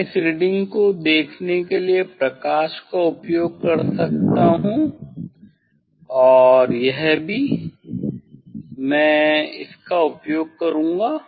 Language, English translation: Hindi, I can use light for see this reading and also, I will use the this one